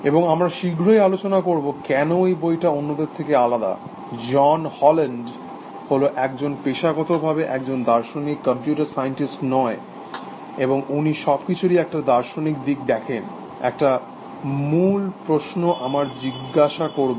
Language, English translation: Bengali, And we will discuss shortly, why this book is different from the rest, John Haugeland is a philosopher by profession, not computer scientist, and he is looking at the philosophical side of things that, one of the key questions we will ask